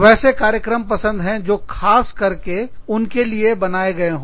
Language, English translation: Hindi, They want the programs, that are specially designed, for them